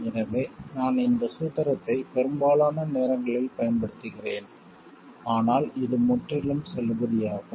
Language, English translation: Tamil, So, I just use this formulation most of the time, but this is perfectly valid